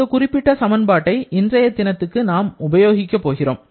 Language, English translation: Tamil, This particular formulation we are going to make use of in today's work